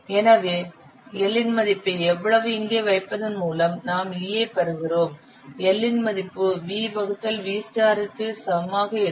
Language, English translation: Tamil, So putting the value of L here we get E is equal to how much putting the value of L is equal to v star by V